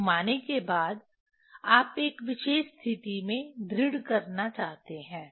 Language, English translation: Hindi, After rotating, you want to fix at a particular position